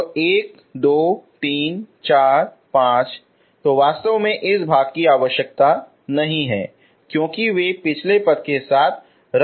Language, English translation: Hindi, So one, two, three, four, five so this part is actually not required because they get cancelled with the last one, okay